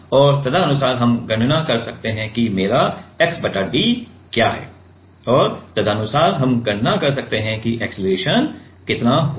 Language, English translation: Hindi, And accordingly, we can calculate what is my x by d is and accordingly we can calculate how much will be the acceleration